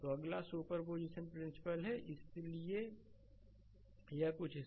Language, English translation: Hindi, So, next is superposition principle so, this is something like this